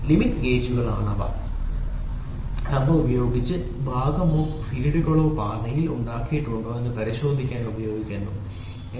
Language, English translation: Malayalam, Limit gauges are gauges which are used to check whether the part produced or the feeds are made on the path is acceptable or not, ok